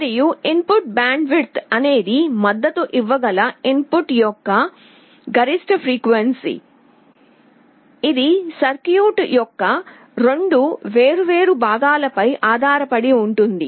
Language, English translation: Telugu, And input bandwidth is the maximum frequency of the input that can be supported, it depends on two different components of the circuit